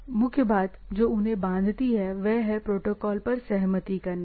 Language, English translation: Hindi, So, the core things which binds them is that agreed upon protocols, right